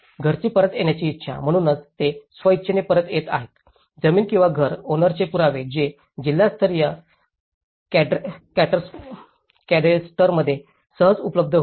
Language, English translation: Marathi, Willingness of household to return, so however, they are coming back with voluntarily they are coming back, evidence of land or house ownership which was readily available in district level cadastres